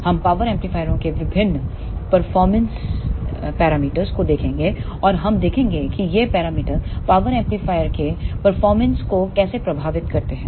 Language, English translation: Hindi, We will see the various performance parameters of power amplifiers and we will see how these parameters affects the performance of power amplifier